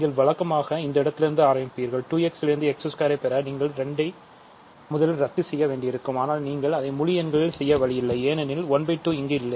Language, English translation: Tamil, So, you will start with this, but now in order to get x squared from 2 x, you will have to somehow cancel 2, but there is no way that you can do it in the integers